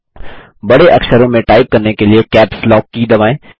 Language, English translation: Hindi, Press the Caps Lock key to type capital letters